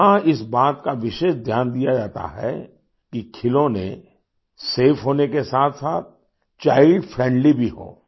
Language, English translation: Hindi, Here, special attention is paid to ensure that the toys are safe as well as child friendly